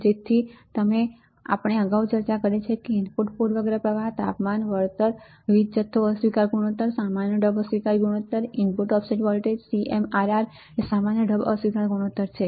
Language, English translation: Gujarati, So, like we have discussed earlier which are the input bias current right, temperature compensation, power supply rejection ratio, common mode rejection ratio, input offset voltage, CMRR right common mode rejection ratio